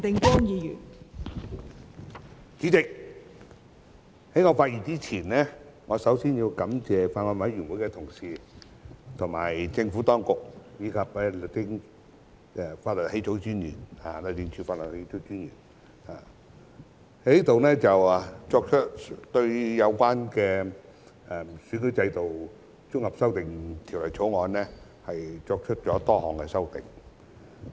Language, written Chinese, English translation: Cantonese, 代理主席，在我發言之前，我首先要感謝《2021年完善選舉制度條例草案》委員會的同事、政府當局、律政司法律草擬專員對《2021年完善選舉制度條例草案》作出了多項修訂。, Deputy Chairman before I speak I would like to thank my Honourable colleagues of the Bills Committee on Improving Electoral System Bill 2021 the Administration and the Law Draftsman of the Department of Justice for making a number of amendments to the Improving Electoral System Bill 2021 the Bill